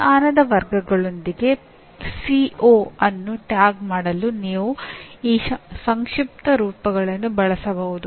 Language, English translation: Kannada, You can use these acronyms to tag the CO with knowledge categories